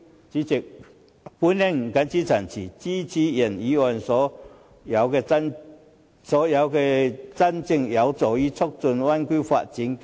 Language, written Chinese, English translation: Cantonese, 主席，我謹此陳辭，支持原議案及所有真正有助於促進灣區發展的修正案。, With these remarks President I support the original motion and all amendments which can truly promote the development of the Bay Area